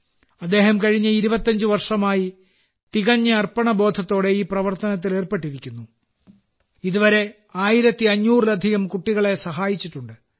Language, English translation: Malayalam, He has been engaged in this task with complete dedication for the last 25 years and till now has helped more than 1500 children